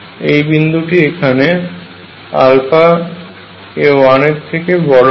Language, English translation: Bengali, This point is greater than 1